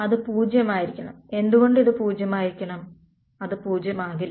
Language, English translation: Malayalam, So, it should be 0 why should be 0 that will not be 0